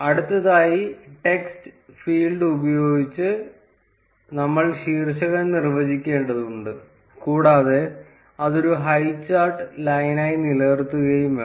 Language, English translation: Malayalam, Next, we need to define the title using the text field, keep it as highcharts line